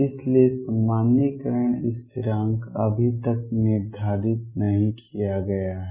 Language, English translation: Hindi, So, normalization constant is yet to be determined